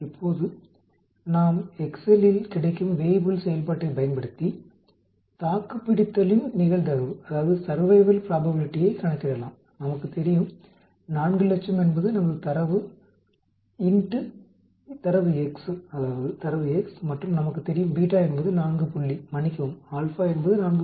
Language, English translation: Tamil, Now, we can calculate the survival probability using the Weibull function available in excel, we know 400,000 as our data x and we know beta as 4 point, sorry the alpha as 4